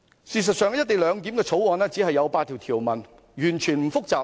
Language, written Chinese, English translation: Cantonese, 事實上，《條例草案》只有8項條文，絕不複雜。, In fact the Bill is by no means complicated for there are eight clauses only